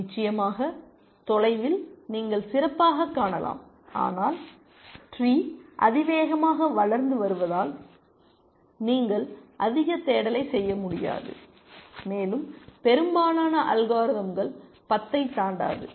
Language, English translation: Tamil, Of course, the farther you can see the better, but because the tree is growing exponentially, you cannot do too much search and most algorithms do not go beyond 10 ply also essentially